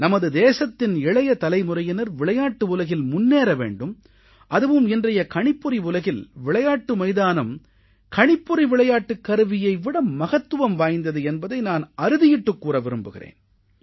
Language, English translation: Tamil, The young generation of our country should come forward in the world of sports and in today's computer era I would like to alert you to the fact that the playing field is far more important than the play station